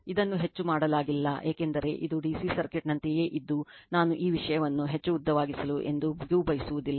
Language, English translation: Kannada, This not much done because, it is same as dc circuit right I never wanted to make these things much more lengthy